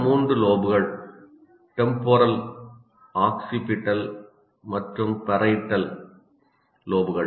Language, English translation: Tamil, We call it frontal lobe, temporal lobe, occipital lobe, and parietal lobe